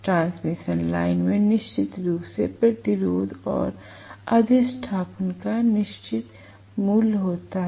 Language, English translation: Hindi, The transmission line has certain value of resistance and inductance definitely right